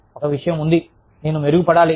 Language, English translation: Telugu, There is one thing, i need to improve on